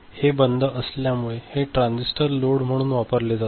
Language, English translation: Marathi, If this is OFF; so this is the transistor is used as a load